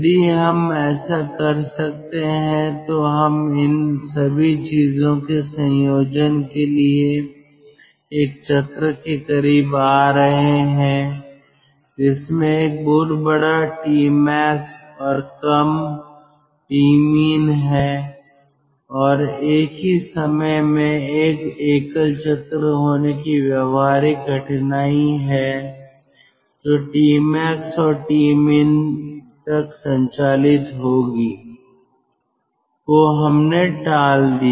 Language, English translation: Hindi, if we can do this, then we are coming close to a cycle combining all these thing, which is having a very large t max and low t min and at the same time the practical difficulty of having a single cycle which will operate from t max to t min